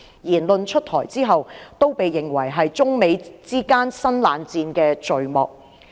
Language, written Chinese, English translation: Cantonese, 言論出台後，均被認為是中美之間新冷戰的序幕。, Such remarks have been regarded as a prelude to the cold war between China and the United States